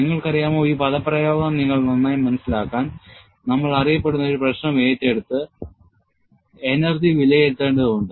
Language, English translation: Malayalam, And you know, for you to understand this expression better, we need to take up a known problem and evaluate the energy